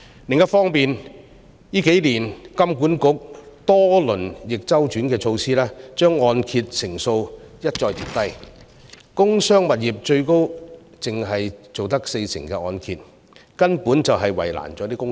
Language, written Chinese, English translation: Cantonese, 另一方面，香港金融管理局近數年多番推出逆周期措施，將按揭成數一再調低，工商物業最高只能承造四成按揭，根本是為難了公司。, Meanwhile the Hong Kong Monetary Authority HKMA has introduced many counter - cyclical measures in recent years . It has lowered the loan - to - value LTV ratio for properties many times with the maximum LTV ratio applicable to commercial and industrial property being 40 % which has really made life difficult for companies